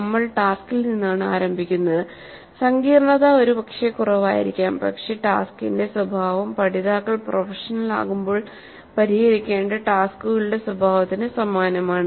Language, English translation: Malayalam, We start with the task the complexity may be low but the nature of the task is quite similar to the nature of the tasks that the learners would have to solve when they become profession